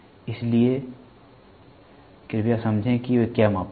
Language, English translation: Hindi, So, please understand what they measure